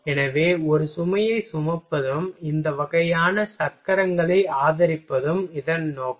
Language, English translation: Tamil, So, the purpose is to carry a load as well as to support the wheels these kind of things are